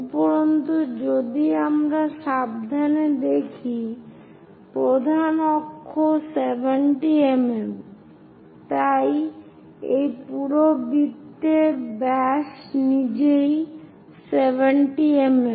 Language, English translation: Bengali, And if we are seeing carefully because this is 70 mm major axis, so the diameter of this entire circle itself is 70 mm